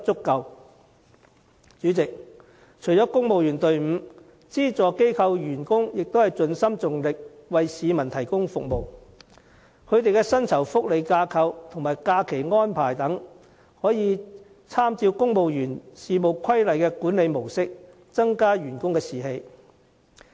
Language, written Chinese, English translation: Cantonese, 代理主席，除了公務員隊伍外，資助機構員工也盡心盡力為市民提供服務，他們的薪酬福利架構和假期安排等，亦應參照《公務員事務規例》的管理模式，以增加士氣。, Deputy President besides civil servants the staff of subvented organizations are likewise dedicated to serving the public . Their remuneration structure and leave arrangements should be modelled on the system of benefits administration under the Civil Service Regulations so as to boost their morale